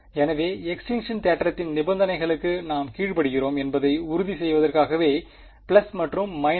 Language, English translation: Tamil, So, the plus and minus is to make sure that we obey the conditions of extinction theorem ok